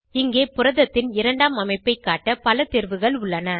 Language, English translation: Tamil, Here we see many more options to display secondary structure of protein